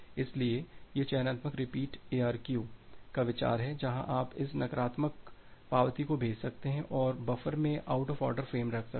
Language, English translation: Hindi, So, that is the idea of the selective repeat ARQ where you can send this negative acknowledgement and keep the out of order frames in the buffer